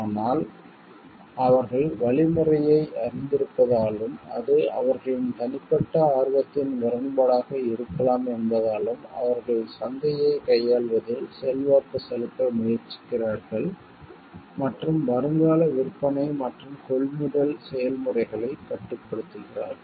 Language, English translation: Tamil, But because they know the algorithm and maybe it is could be a conflict of their personal interest, where they try to influence manipulates the market and control the prospective selling and purchase processes